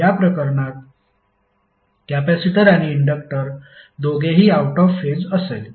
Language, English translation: Marathi, In this case capacitor and inductor both will be out of phase